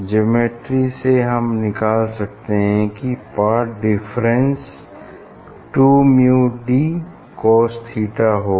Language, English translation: Hindi, from the geometry you can find out that this path difference is 2 mu d cos theta